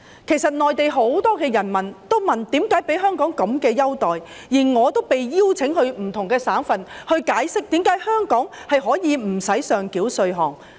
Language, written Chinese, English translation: Cantonese, 事實上，內地很多人民也會問香港何以享有這種優待，而我也曾獲邀到不同省份解釋香港何以無需上繳稅項。, In fact many people in the Mainland have queried why Hong Kong could enjoy such a privilege . I have been invited to different provinces to explain why Hong Kong does not have to turn over revenue to the State